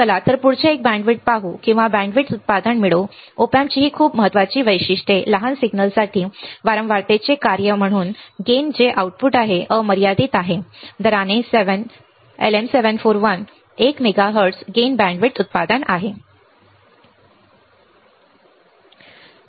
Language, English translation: Marathi, Let us see the next one bandwidth or gain bandwidth product, very important characteristics of an Op amp the gain as a function of frequency for smaller signals right that is output is unlimited by slew rate the LM741 has a gain bandwidth product of 1 megahertz ok